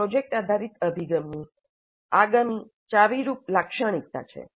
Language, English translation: Gujarati, This is the next key feature of project based approach